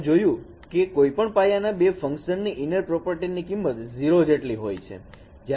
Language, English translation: Gujarati, What you can see that inner product of any two different basis functions that should be equal to zero